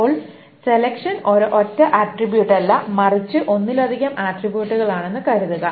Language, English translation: Malayalam, Now, suppose the selection is not on a single attribute but on multiple attributes